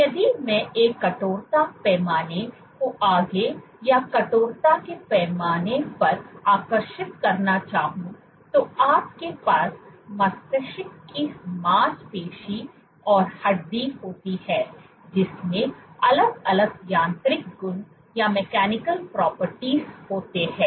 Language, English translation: Hindi, If I were to draw a stiffness scale forward to or stiffness scale you have brain muscle and bone which have distinct mechanical properties